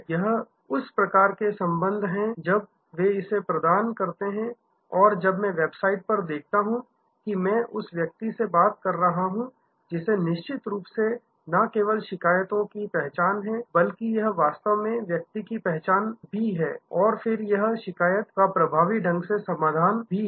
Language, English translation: Hindi, This is the kind of data when they provide that and when I see it on the website as I am talking to the person that definitely is not only the identification of the complain, but it also actually identification of the person and then, this resolving of the complain effectively